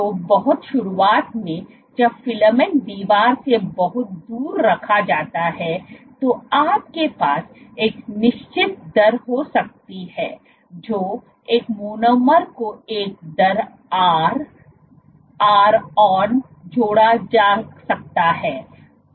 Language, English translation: Hindi, So, at the very start when the filament is placed far from the wall you can have a certain rate a monomer can get added at a rate r, ron